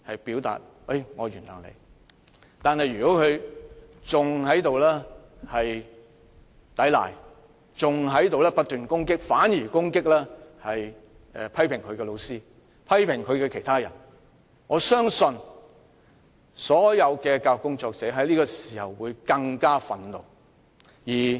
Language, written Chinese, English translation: Cantonese, 不過，如果他抵賴，更反而不斷攻擊批評他的老師，批評他的人，我相信所有教育工作者只會更感憤怒。, But if the student gives a blatant denial and instead keeps attacking those teachers or people who criticize him I believe all educational workers will only get more infuriated